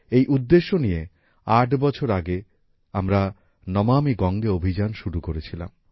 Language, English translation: Bengali, With this objective, eight years ago, we started the 'Namami Gange Campaign'